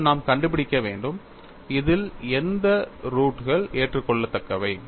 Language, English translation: Tamil, Now, we will have to find out of this, which are the roots are admissible